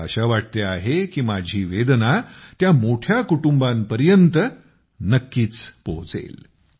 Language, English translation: Marathi, I hope this pain of mine will definitely reach those big families